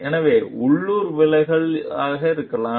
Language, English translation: Tamil, So, there could be local deviations